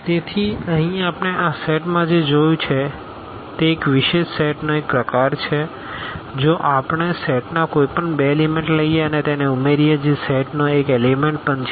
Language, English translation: Gujarati, So, here what we have seen in this set which is a kind of a special set if we take any two elements of the set and add them that is also an element of the set